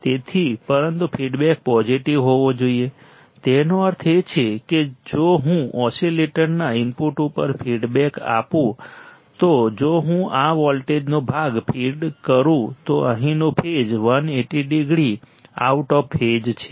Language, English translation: Gujarati, So, but the feedback must be positive right; that means, that if I feed part of this voltage if I feedback to the input of the oscillator, the phase here is 180 degree out of phase